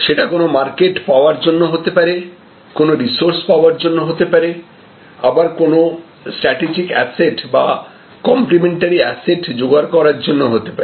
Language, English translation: Bengali, There can be market seeking motives, there can be resource seeking motives, there can be strategic asset or complementary asset seeking motives